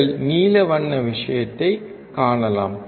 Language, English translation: Tamil, You can see blue color thing